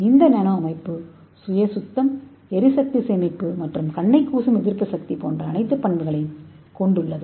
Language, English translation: Tamil, and this nano structure is having all this property like self cleaning energy saving and anti glare property